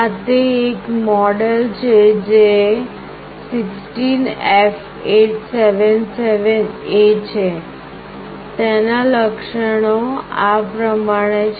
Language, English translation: Gujarati, This is one of the model which is 16F877A; the feature is like this